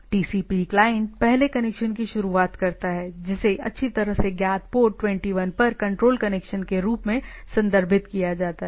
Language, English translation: Hindi, The TCP client initiates the first connection, referred to as control connection right on well known port 21